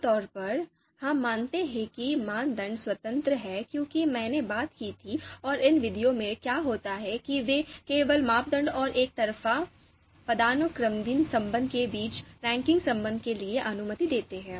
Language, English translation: Hindi, Typically, we assume that criteria are independent as I talked about and what happen you know happens in these methods is they typically allow only for the linear structure between criteria and one way hierarchical relationship